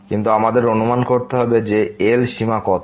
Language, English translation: Bengali, But we have to guess that what is the limit